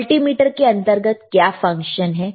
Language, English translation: Hindi, What are the functions within the multimeter